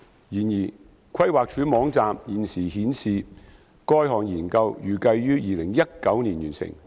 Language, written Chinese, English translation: Cantonese, 然而，規劃署網站現時顯示該項研究預計於2019年完成。, However the said study is expected to complete in 2019 as currently shown on the Planning Departments website